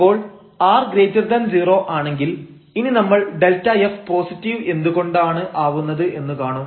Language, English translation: Malayalam, So, if this r is positive, we will see now here that delta f will be positive why